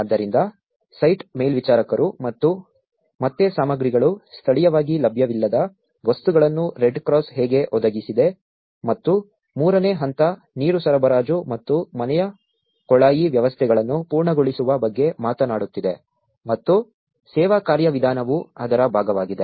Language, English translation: Kannada, So, then the site supervisors and again the materials, how the Red Cross has provided the materials, which are not available locally and the stage three, which is talking about the completion which has the portable water supply and the household plumbing systems which onto the service mechanism part of it